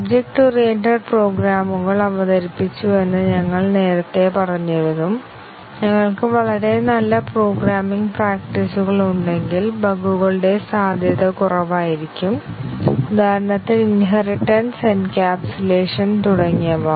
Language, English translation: Malayalam, We had said earlier that object oriented programs were introduced with the assumption that if we have very good programming practices inculcated then the chances of bugs will be less, for example, inheritance encapsulation and so on